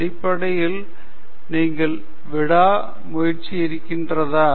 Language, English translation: Tamil, Basically, do you have the tenacity